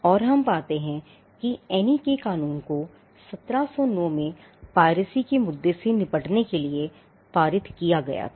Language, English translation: Hindi, And we find that the statute of Anne was passed in 1709 to tackle the issue of piracy